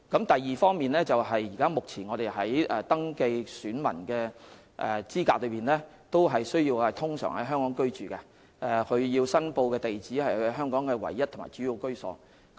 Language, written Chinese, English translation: Cantonese, 第二，目前要符合香港登記選民的資格，個別人士須通常在香港居住，而其呈報的住址須是其在香港唯一或主要的居所。, Second at present to be eligible for registration as an elector in Hong Kong an individual must ordinarily reside in Hong Kong and the residential address notified by him must be his only or principal residence in Hong Kong